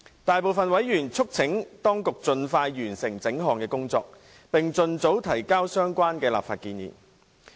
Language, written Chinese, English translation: Cantonese, 大部分委員促請當局盡快完成整項工作，並盡早提交相關立法建議。, Most members urged the authorities to expeditiously complete the whole task and submit the relevant legislative proposal as soon as possible